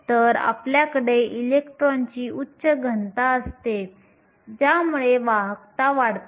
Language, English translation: Marathi, So, you have a high density of electrons which leads to a high conductivity